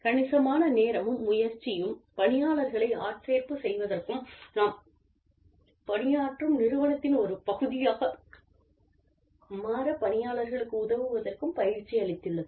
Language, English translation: Tamil, Significant amount of time and effort, has gone into the recruitment of employees, and to training employees, into helping them, become a part of the organization that, we serve